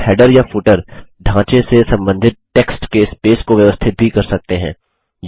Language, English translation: Hindi, You can also adjust the spacing of the text relative to the header or footer frame